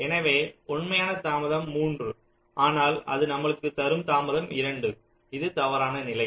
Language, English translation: Tamil, so, true, delay is three, but it will give us a delay of two, which is an incorrect condition, right